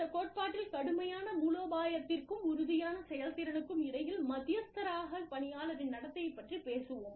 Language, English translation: Tamil, In this theory, we will talk about, the employee behavior, as the mediator between, strict strategy, and firm performance